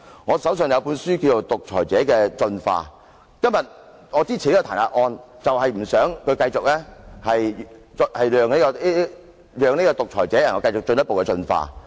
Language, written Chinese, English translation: Cantonese, 我手上有一本書名為《獨裁者的進化》，我今天支持這項彈劾議案，是不想讓這個獨裁者繼續進一步進化。, I am holding a book called Evolution of a Dictator; I support this impeachment motion today because I do not wish to see the further evolution of this dictator